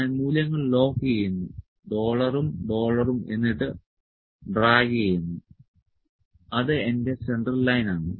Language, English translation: Malayalam, I will just lock the values dollar and dollar and drag it is my central line